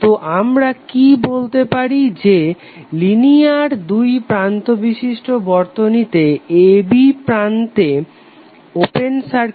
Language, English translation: Bengali, So what we can say that, the linear two terminal circuit, open circuit voltage across terminal a b would be equal to VTh